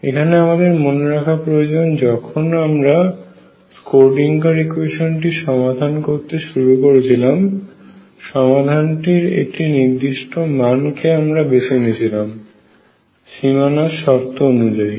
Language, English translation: Bengali, Remember earlier when we where solving the Schrödinger equation a particular form of the solution was decided by the boundary condition